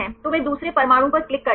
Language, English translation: Hindi, So, they click on second atom